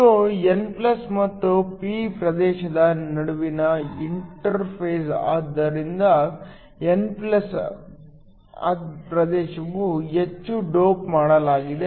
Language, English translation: Kannada, This is the interface between the n+ and the p region so the n+ region is heavily doped